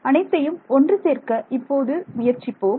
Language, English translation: Tamil, So, let us try to put it together